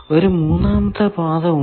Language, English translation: Malayalam, Is there any other path